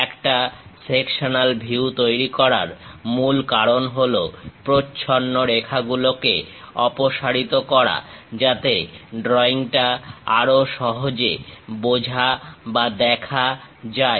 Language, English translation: Bengali, The main reason for creating a sectional view is elimination of the hidden lines, so that a drawing can be more easily understood or visualized